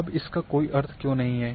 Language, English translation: Hindi, Now why it does not have any meaning